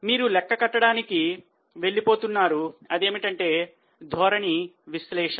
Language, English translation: Telugu, So, what we are going to calculate is known as trend analysis